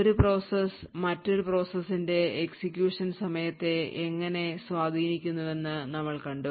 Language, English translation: Malayalam, With this we have actually seen how one process could influence the execution time of other process